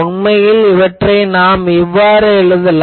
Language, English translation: Tamil, But actually, you can always put it also